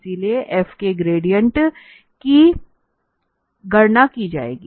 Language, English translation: Hindi, So, we compute the gradient of f